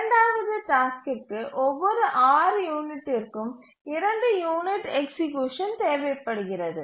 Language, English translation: Tamil, The second task needs two unit of execution every six unit